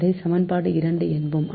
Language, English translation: Tamil, so this is equation two